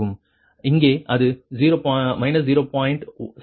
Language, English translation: Tamil, right here it is zero